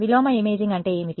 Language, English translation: Telugu, What is meant by inverse imaging